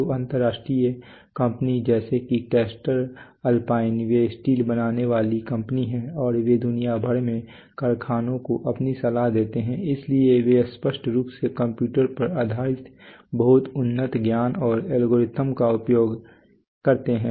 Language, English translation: Hindi, So international companies like let’s say caster alpine they are they are steel making consultants and they make they give their consultancies to factories the world over right, so they use very advanced knowledge and algorithms obviously based on computers